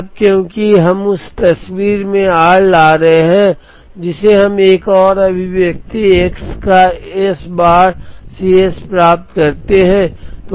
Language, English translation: Hindi, Now because, we brought r into the picture we are getting another expression plus S bar of x C s